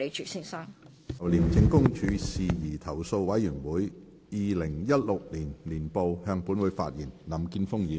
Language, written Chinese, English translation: Cantonese, 林健鋒議員就"廉政公署事宜投訴委員會二零一六年年報"向本會發言。, Mr Jeffrey LAM will address the Council on the Independent Commission Against Corruption Complaints Committee Annual Report 2016